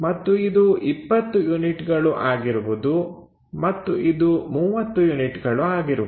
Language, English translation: Kannada, And then this will be 20 units and this will be 30 units